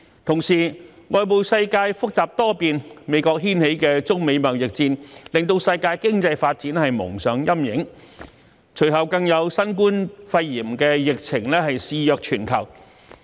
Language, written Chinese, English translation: Cantonese, 同時，外部世界複雜多變，美國掀起的中美貿易戰令世界經濟發展蒙上陰影，隨後更有新冠肺炎疫情肆虐全球。, Meanwhile the external world has turned complicated and unstable . The US - China trade war stirred up by the United States has clouded global economic development . And the subsequent COVID - 19 epidemic further plagued the whole world